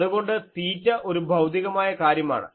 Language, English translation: Malayalam, Now, so this is a physical thing